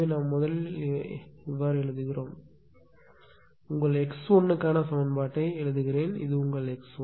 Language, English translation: Tamil, So, just see how we are writing first you write down the equation for your x 1; this is your x 1 right